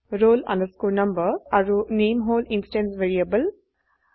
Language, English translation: Assamese, roll number and name are the instance variables